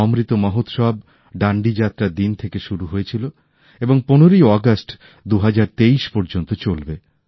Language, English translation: Bengali, 'Amrit Mahotsav' had begun from the day of Dandi Yatra and will continue till the 15th of August, 2023